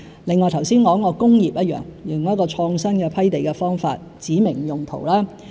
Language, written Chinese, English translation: Cantonese, 另外，剛才提及的工業也一樣，用創新批地方法指明用途。, Also we will do the same for the industrial sector by adopting an innovative approach on land grant to specify the land use